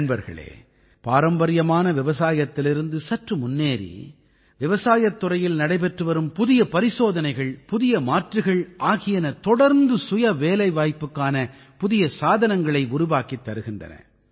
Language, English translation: Tamil, moving beyond traditional farming, novel initiatives and options are being done in agriculture and are continuously creating new means of selfemployment